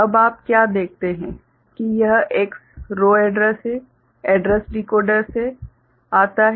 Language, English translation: Hindi, Now what you see that this X is the row address ok, coming from the address decoder